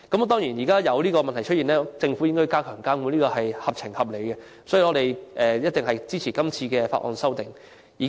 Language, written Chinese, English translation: Cantonese, 當然，這問題出現後，政府加強監管實屬合情合理，所以，我們一定支持今次的《條例草案》。, Of course in response to the problem it is reasonable for the Government to enhance monitoring . In this case we will certainly support the Bill